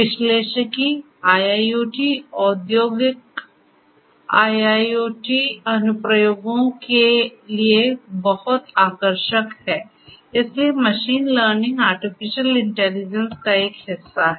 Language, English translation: Hindi, Analytics very attractive for IIoT industrial, IoT applications; so, machine learning is nothing, but it is a subset of artificial intelligence